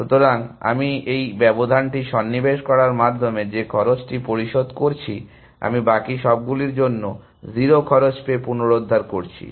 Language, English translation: Bengali, So, I am the cost I am paying by inserting this gap, I am regaining by getting 0 costs for all the rest essentially